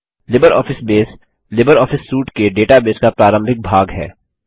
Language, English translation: Hindi, LibreOffice Base is the database front end of the LibreOffice suite